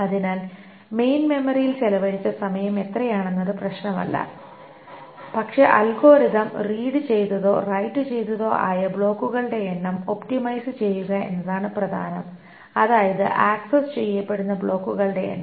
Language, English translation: Malayalam, So it doesn't matter what is the time spent in the main memory, but the point is to optimize on the number of blocks that is read or written by the algorithm, so number of blocks that is accessed